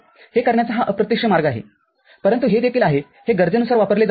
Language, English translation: Marathi, This is indirect way of doing it, but this is also can be used, depending on the need